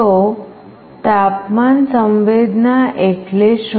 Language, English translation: Gujarati, So, what is temperature sensing